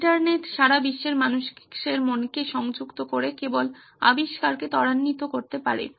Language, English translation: Bengali, The internet by connecting human minds all over the world, can only accelerate innovation